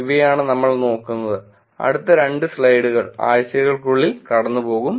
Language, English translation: Malayalam, These are the things we look at, next of couple of slides, we'll just go through in only weeks